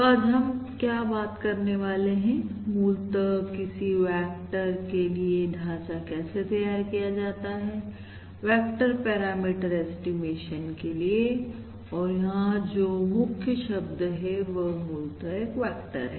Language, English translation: Hindi, So what we are going to talk about from today is basically to develop a framework for vector vector parameter, vector parameter, vector parameter estimation, and in fact, the keyword here is this word, which is basically a vector